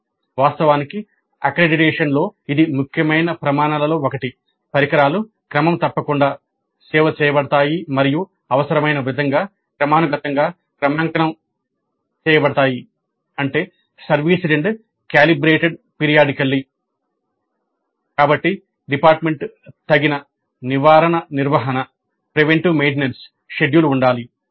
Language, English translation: Telugu, In fact in the accreditation this is one of the essential criteria that the equipment is regularly serviced and calibrated periodically as required